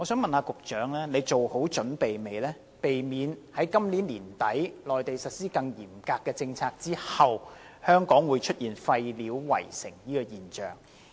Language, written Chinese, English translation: Cantonese, 請問局長是否已作好準備，避免香港在今年年底內地實施更嚴格的政策後出現廢料圍城的現象？, May I ask the Secretary whether we are well prepared for the implementation of the more stringent policies in the Mainland by the end of this year so as to prevent Hong Kong from being besieged by rubbish thereafter?